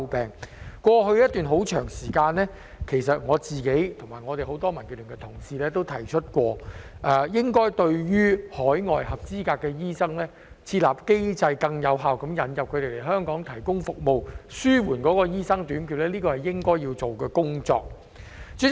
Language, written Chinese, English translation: Cantonese, 在過去一段很長時間，我和很多民建聯的同事均提出過，應該設立更有效的機制，引入海外的合資格醫生來香港提供服務，以紓緩醫生短缺問題，這是應該要做的工作。, The issue has all along been a cause of complaint . Over a long period of time in the past a number of colleagues from the Democratic Alliance for the Betterment and Progress of Hong Kong and I have proposed that a more efficient mechanism should be put in place for bringing in qualified overseas doctors to provide services in Hong Kong in order to alleviate the shortage of doctors